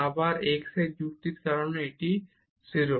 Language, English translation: Bengali, At this point here anyway this x goes to 0